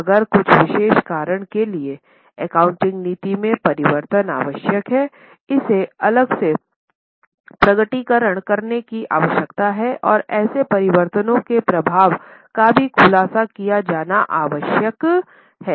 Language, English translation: Hindi, If for some special reason the change in the accounting policy is necessary, it needs to be separately disclosed and the effect of such changes also required to be disclosed